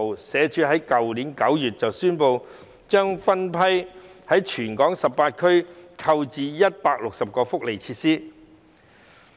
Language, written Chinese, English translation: Cantonese, 社署於去年9月宣布，將分批在全港18區購置160個福利設施。, SWD announced in September last year that it would purchase 160 welfare facilities in batches in the 18 districts of Hong Kong